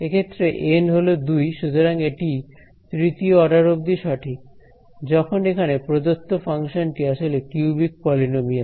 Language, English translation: Bengali, And in this case N is 2 so, this is accurate to order 3 my given function over here is a cubic polynomial